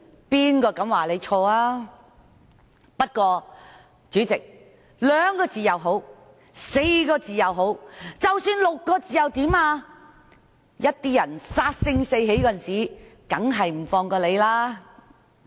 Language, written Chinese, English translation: Cantonese, 不過，主席，兩個字、4個字，甚或6個字又怎樣？有些人殺得性起的時候，便不會放過你。, President be it two characters four or even six characters those who are filled with the lust to kill will not let you go